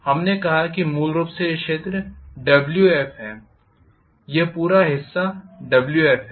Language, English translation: Hindi, We said basically this portion is Wf, this entire portion is Wf